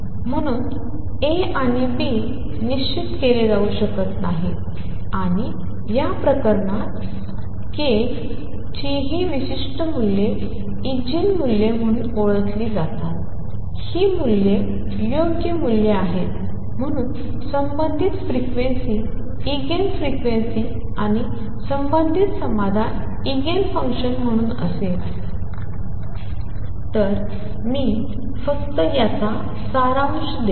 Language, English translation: Marathi, So A and B cannot be fixed and this case these particular values of k are known as Eigen values these are the proper values the corresponding frequencies as Eigen frequencies and the corresponding solution as Eigen function